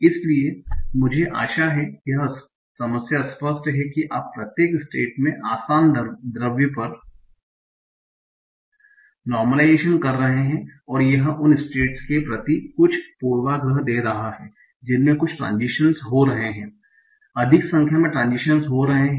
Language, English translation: Hindi, So I hope this problem is clear that you are doing normalization at easy step, at easy state, and that is giving some bias towards those states that are having fewer transitions than the states are having more number of conditions